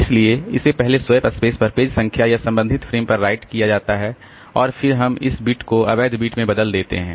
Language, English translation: Hindi, So, it is first written back onto the swap space the page number or the corresponding frame and then we change this bit to invalid bit